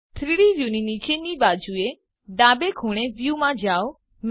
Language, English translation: Gujarati, Go to View at the bottom left corner of the 3D view